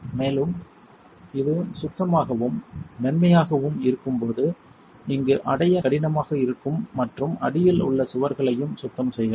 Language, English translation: Tamil, And when it is clean and smooth you can also clean the walls here that are hard to reach and underneath